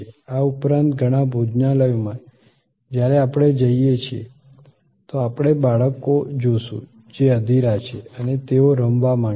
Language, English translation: Gujarati, Besides that, in many restaurants there are you know children, they are impatient, they would like to play